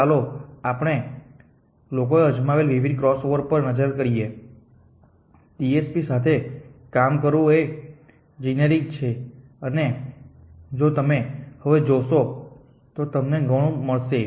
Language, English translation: Gujarati, So, let us look at the various cross over that people have tried working with TSP is a GAs and if you just look of the were will find quite of your